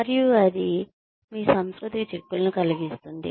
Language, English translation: Telugu, And, that can have implications for your satisfaction